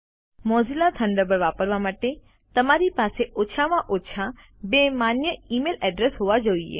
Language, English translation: Gujarati, To use Mozilla Thunderbird,You must have at least two valid email addresses